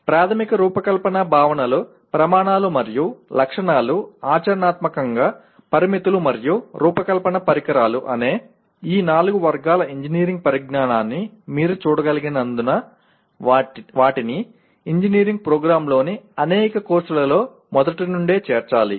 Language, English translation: Telugu, So as you can see these four categories of engineering knowledge namely fundamental design concepts, criteria and specifications, practical constraints and design instrumentalities, they have to be incorporated right from the beginning in several courses in an engineering program